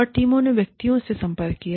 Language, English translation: Hindi, And, the teams approached individuals